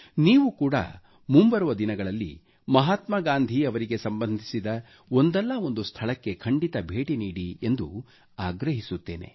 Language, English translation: Kannada, I sincerely urge you to visit at least one place associated with Mahatma Gandhi in the days to come